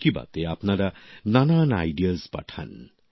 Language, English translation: Bengali, You send ideas of various kinds in 'Mann Ki Baat'